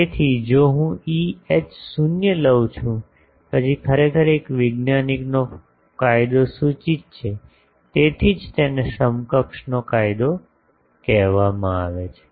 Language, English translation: Gujarati, So, if I take E H 0 then actually law of one scientist proposed, that is why it is called Love’s equivalent